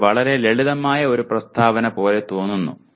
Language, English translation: Malayalam, It looks very simple statement